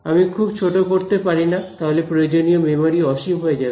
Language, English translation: Bengali, I cannot make it infinitely small otherwise the memory requirement will go to infinity